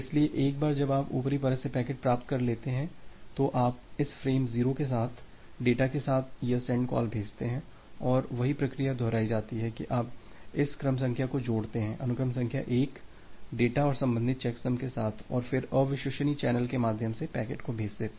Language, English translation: Hindi, So, once you have received the packet from the upper layer, then you make this send call with the data with this frame 0 and the same process gets repeated that you append this sequence number; sequence number 1 along with the data and the corresponding checksum and then send the packet through the unreliable channel